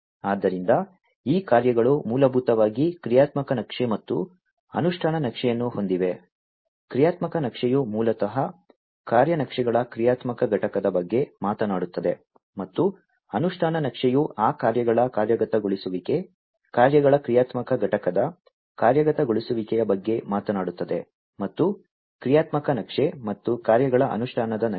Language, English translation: Kannada, So, these tasks basically have their roles the functional map and the implementation map, the functional map basically talks about the functional component of the task maps, and the implementation map talks about the execution of those tasks, execution of the functional component of the tasks functional map, and the execution of the tasks implementation map